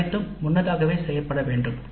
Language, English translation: Tamil, They all must be recorded